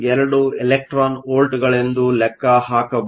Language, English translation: Kannada, 12 electron volts